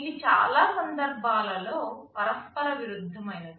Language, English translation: Telugu, These are mutually conflicting in most cases